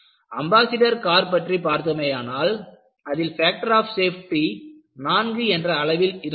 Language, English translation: Tamil, On the other hand, if you come to our Ambassador cars, this was operating with the factor of safety of 4